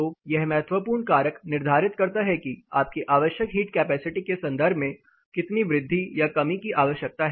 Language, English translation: Hindi, So, this crucial factor determines how much increase or decrease is required in terms of your required heat capacity